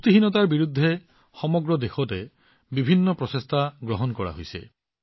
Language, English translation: Assamese, Many creative and diverse efforts are being made all over the country against malnutrition